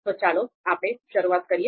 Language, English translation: Gujarati, So let’s start